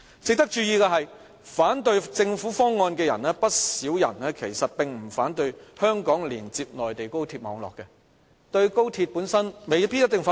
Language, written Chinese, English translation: Cantonese, 值得注意的是，不少反對政府方案的人其實並不反對香港連接內地高鐵網絡，對"一地兩檢"本身未必一定反對。, It is noteworthy that many people though against the Governments proposal actually may not necessarily oppose Hong Kongs linkage with the Mainland high - speed rail network and the idea of co - location clearance itself . They are not necessarily opponents of the XRL